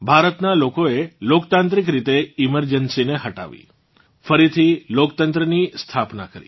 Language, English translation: Gujarati, The people of India got rid of the emergency and reestablished democracy in a democratic way